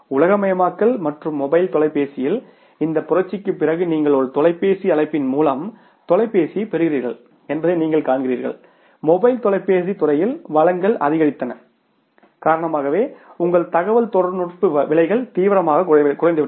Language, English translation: Tamil, Today you see that after globalization and this revolution in the mobile telephony you see that just on a phone call you get the phone and it is because of the increase in the supply in the mobile telephony sector your prices of the communication have seriously come down